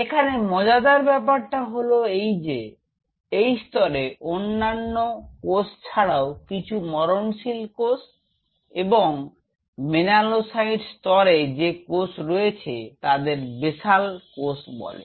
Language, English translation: Bengali, The interesting part is this layer this layer contains some apart from other cells like mortal cells and melanocytes this layer contains something called basal cells